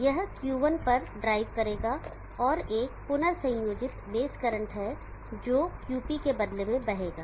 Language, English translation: Hindi, It will drive Q1 on and there is a recombination base current that will flow through in turn of QP